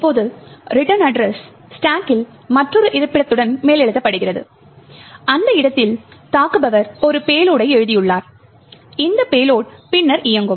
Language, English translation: Tamil, Now the return address is overwritten with another location on the stack and in that location the attacker has written a payload and this payload would then execute